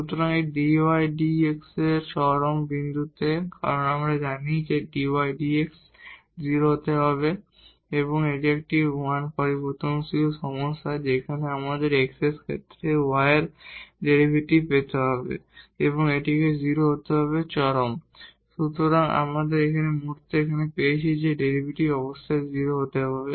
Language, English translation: Bengali, So, with this du over dx and at the point of extrema because we know that the du over dx must be 0, it is a 1 variable problem where we have to get this derivative of u with respect to x and that has to be 0 at the point of extrema